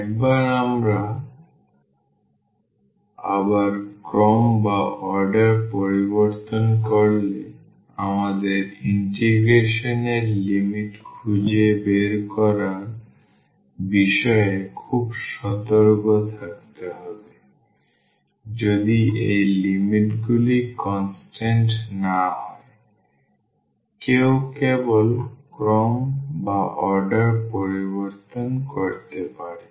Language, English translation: Bengali, Once we change the order again we need to be very careful about the finding the limits of the integration, if these limits are not constant; if the limits are constant one can simply change the order